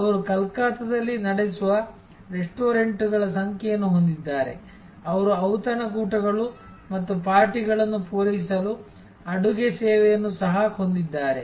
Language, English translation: Kannada, They have number of restaurants, which they run in Calcutta; they also have catering service to serve banquettes and parties and so on